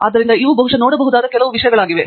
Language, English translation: Kannada, So, these are some things that maybe looked at